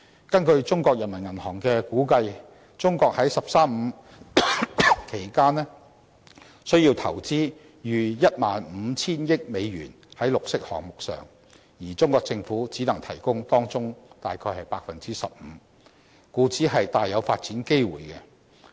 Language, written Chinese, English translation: Cantonese, 根據中國人民銀行的估計，中國在"十三五"期間需要投資逾 10,500 億美元在綠色項目上，而中國政府只能提供當中大約 15%， 故此提供了大量發展機會。, According to the Peoples Bank of China China is projected to invest more than US1.05 trillion on green projects during the National 13 Five - Year Plan . With only 15 % of the sum coming from the Chinese Government development opportunities are created in abundance